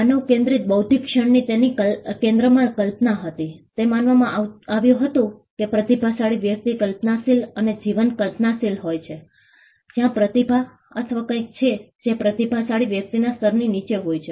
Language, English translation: Gujarati, The human centric intellectual moment had imagination at it centre, it was regarded that a genius is a person who was imaginative and over a vibrant imagination; where has talent or something which was below the level of a genius